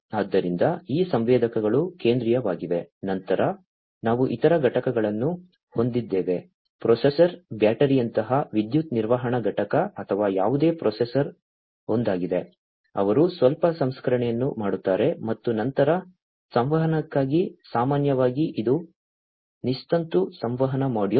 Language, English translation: Kannada, So, these sensors are the central ones, then, we have the other components, the processor, the power management unit like battery or whatever processor is the one, who will do a little bit of processing and then for communication, typically, it is the wireless communication module